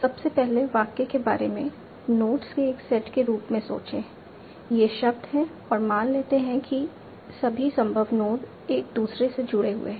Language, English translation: Hindi, Firstly, think about this sentence as a set of notes, these other words, and assume that all the possible nodes are connected to each other